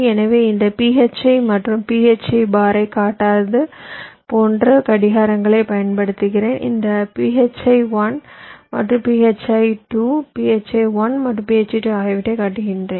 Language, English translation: Tamil, like i am not showing this phi and phi bar, i am showing them a phi one and phi two, phi one and phi two